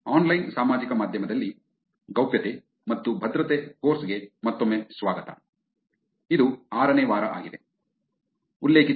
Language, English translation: Kannada, Welcome back to the course Privacy and Security in Online Social Media, this is week 6